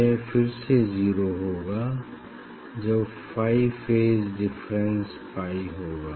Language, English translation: Hindi, it is 0, then again when it is phi phase is phi phase difference